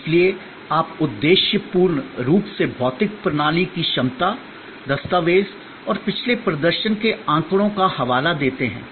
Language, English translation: Hindi, So, you objectively document physical system capacity, document and cite past performance statistics, etc